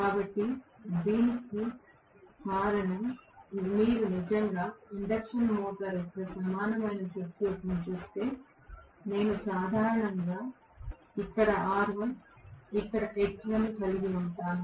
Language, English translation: Telugu, So, this is because if you actually look at the equivalent circuit of the induction motor, I normally have r1 here, x1 here